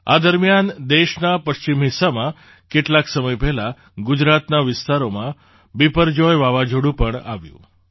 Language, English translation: Gujarati, Meanwhile, in the western part of the country, Biparjoy cyclone also hit the areas of Gujarat some time ago